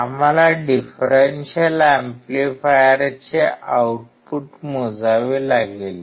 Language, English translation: Marathi, We have to measure the output of the differential amplifier